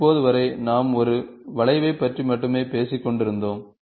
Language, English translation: Tamil, When you, till now we were only talking about a single curve